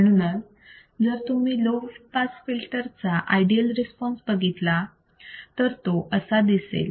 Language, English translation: Marathi, So, if you see ideal response of the low pass filter, it will look like this